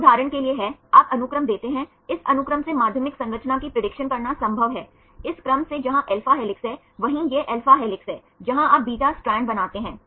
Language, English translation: Hindi, This is for example, you give the sequence is it possible to predict the secondary structure from this sequence from this sequence where there are alpha helixes right this is alpha helix, where you form the beta strand